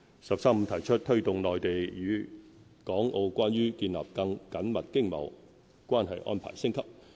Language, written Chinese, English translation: Cantonese, "十三五"提出"推動內地與港澳關於建立更緊密經貿關係安排升級"。, The National 13 Five - Year Plan states that the Central Government will advocate the upgrading of the Mainlands closer economic partnership arrangements with Hong Kong and Macao